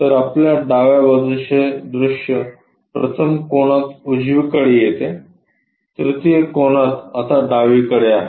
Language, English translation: Marathi, So, your left side view comes on right side in 1st angle; in 3rd angle is right away comes on the left side